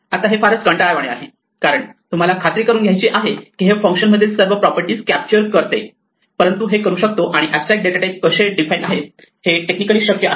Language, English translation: Marathi, Now this can be very tedious because you have to make sure that it capture all the properties between functions, but this can be done and this is technically how an abstract data type is defined